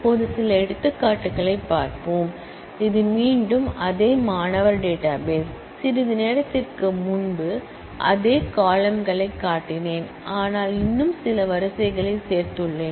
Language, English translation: Tamil, Now, let us look at some examples, this is again the same student database, I just shown a while ago the same set of columns, but I have added few more rows